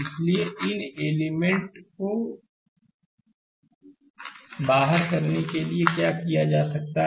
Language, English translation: Hindi, So, so, what you can do is exclude these elements